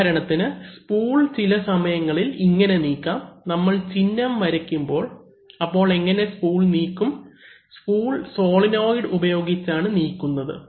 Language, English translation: Malayalam, So, for example the spool may be moved sometimes, you know when we draw the symbol, suppose we draw this symbol, then how do we move the spool, we may be moving the spool by a solenoid, okay